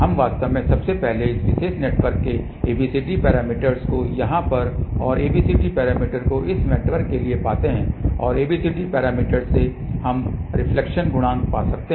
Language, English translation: Hindi, We actually first of all find the ABCD parameters of this particular network here and ABCD parameters for this network and from ABCD parameters we can find the reflection coefficient